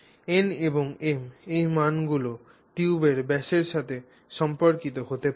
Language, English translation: Bengali, So, in terms of n and m, what is the diameter of the tube